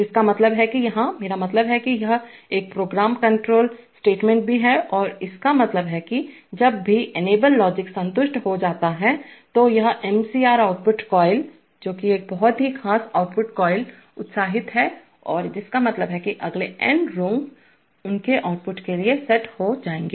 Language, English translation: Hindi, Which means that here, I mean this is also a program control statement and it means that whenever the enable logic is satisfied then this MCR output coil, which is a very special output coil is excited and which means that the next n rungs will be set to their outputs